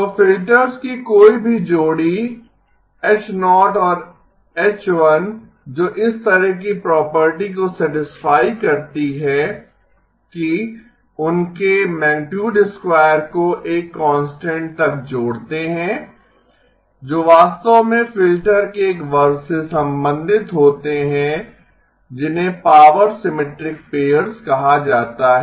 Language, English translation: Hindi, So any pair of filters H0 and H1 that satisfy this kind of a property that their magnitude squares add up to a constant actually belong to a class of filters called the power symmetric pairs